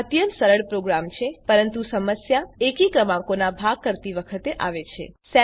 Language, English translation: Gujarati, It is a very trivial program but the issue comes in dividing odd numbers